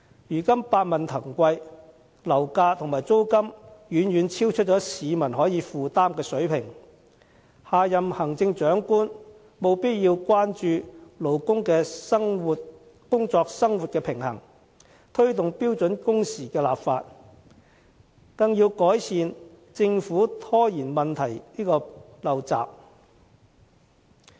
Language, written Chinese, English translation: Cantonese, 如今百物騰貴，樓價和租金遠遠超出市民可負擔的水平，下任行政長官務必要關注勞工的工作生活平衡，推動標準工時的立法，更要改善政府拖延問題的陋習。, Nowadays the cost of living is very high with property prices and rents far exceeding peoples affordability . The next Chief Executive must pay heed to workers work - life balance drive the enactment of legislation on standard working hours and more importantly quit its bad habit of procrastination